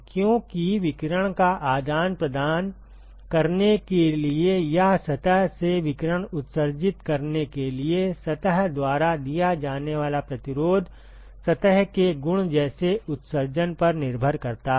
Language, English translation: Hindi, Because the resistance that is offered by the surface to exchange radiation, or to emit radiation from the surface it depends upon the surface property such as emissivity